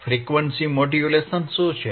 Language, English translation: Gujarati, What are frequency modulations